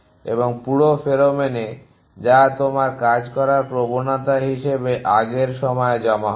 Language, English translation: Bengali, And the whole pheromone that will deposit in earlier times as the tendency you operate